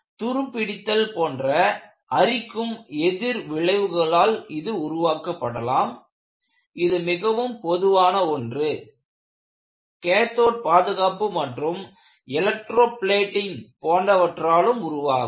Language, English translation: Tamil, This may be produced by corrosive reactions such as rusting, which is very common place; cathodic protection as well as electroplating